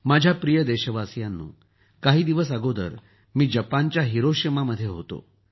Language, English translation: Marathi, My dear countrymen, just a few days ago I was in Hiroshima, Japan